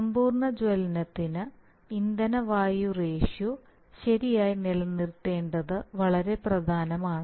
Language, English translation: Malayalam, So for complete combustion it is very important to maintain fuel air ratios right